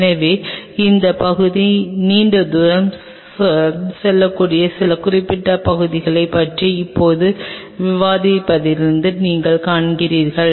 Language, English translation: Tamil, So, you see as of now you have discussed about some of the specific areas this area may go a long way